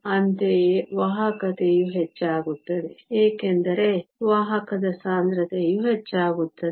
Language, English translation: Kannada, Similarly, the conductivity will also increase, because the carrier concentration increases